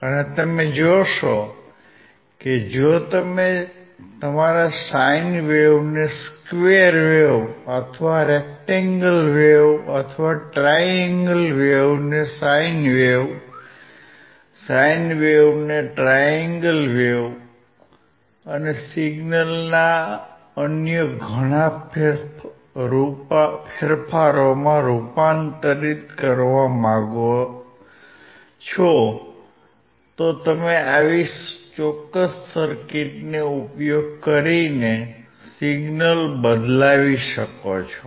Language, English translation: Gujarati, And you will see that if you want to convert your sine wave to a square wave or rectangle wave or triangle wave to a sine wave, sine wave to triangle wave and lot of other changes of the signal ,you can change the signal by using these particular circuits